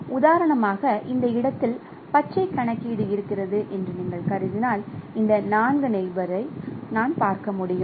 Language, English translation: Tamil, So, if I consider for example computation of green at this location I can see these are the four neighbors